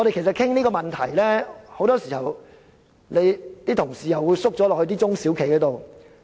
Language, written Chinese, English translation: Cantonese, 討論這個問題時，很多議員同事又會代入中小企的角度思考。, Many Honourable colleagues will again put themselves in the shoes of SMEs when discussing this issue